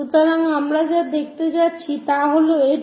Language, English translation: Bengali, So, what we are going to see is this one